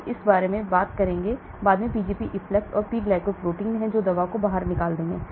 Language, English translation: Hindi, I will talk about this later the Pgp efflux and there are P glycoprotein which will throw the drug out